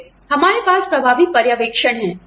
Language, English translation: Hindi, Then, we have effective supervision